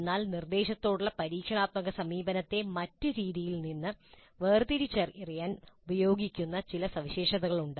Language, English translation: Malayalam, But there are certain features which are used to distinguish experiential approach to instruction from other forms of instruction